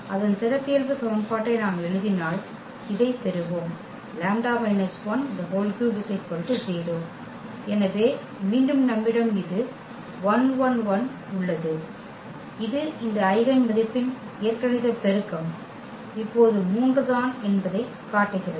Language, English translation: Tamil, And if we write down its characteristic equation, we will get this lambda minus 1 power 3 is equal to 0; so, again we have this 1 1 1 which the algebraic multiplicity of this eigenvalue is just 3 now